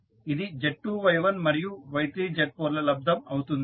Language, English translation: Telugu, So, this will become Z2 Y1 into Y3 Z4